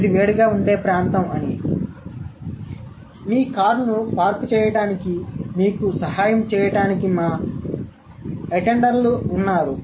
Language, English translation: Telugu, Since this is a heated area, we have our attendance to help you to park your car